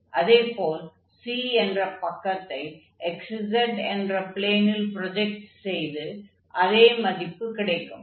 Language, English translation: Tamil, Similarly, for the side C it will be projected on this xz plane, and then we can get again the same value